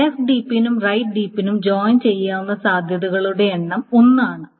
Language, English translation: Malayalam, For the left deep and the joint right deep, the number of possibilities is only one